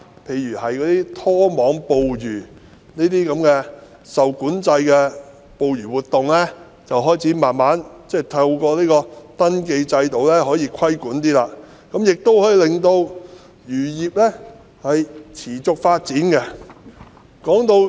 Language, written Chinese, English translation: Cantonese, 其後，當局開始慢慢透過登記制度對例如拖網捕魚等受管制的捕魚活動稍作規管，亦可以令漁業持續發展。, Subsequently such regulated fishing activities as trawling have been brought under some sort of regulation gradually through the registration scheme and this can also facilitate the sustainable development of the fisheries industry